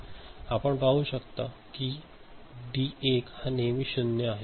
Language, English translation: Marathi, You can see that D1 is always 0 ok